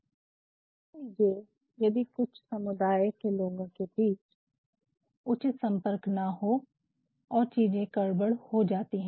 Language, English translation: Hindi, Imagine, when a group of people they are not having proper communication and things go wrong